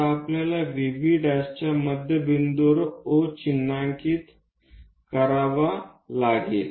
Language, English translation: Marathi, Now we have to mark O at midpoint of VV prime